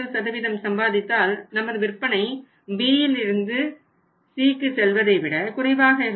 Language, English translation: Tamil, 3% obviously your sales will be lesser as compared to the level that is B to C